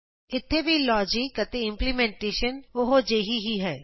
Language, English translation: Punjabi, Here also the logic and implementation are same